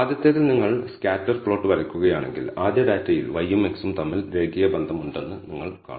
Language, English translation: Malayalam, In the first one if you look at if you plot the scatter plot you will see that there seems to be linear relationship between y and x in the first data